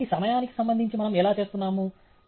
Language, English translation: Telugu, So, how are we doing with respect to time